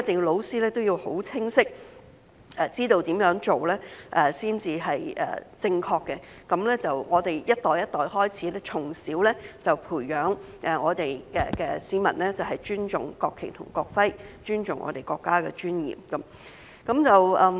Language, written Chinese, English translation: Cantonese, 老師一定要很清晰知道如何做才是正確的，讓我們一代一代，從小便開始培養市民尊重國旗及國徽，尊重我們國家的尊嚴。, It is imperative for teachers to know clearly what is the right thing to do so that generation after generation we can foster respect among citizens from a young age for the national flag and national emblem as well as for the dignity of our country